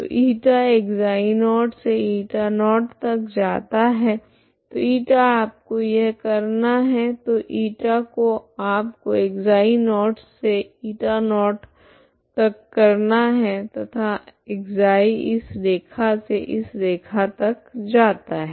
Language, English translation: Hindi, So η is running from ξ0 to η0, so η you have to do it from ξ0 to η0and ξ is running between this line to this line